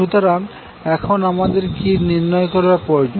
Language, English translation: Bengali, So what we will try to find out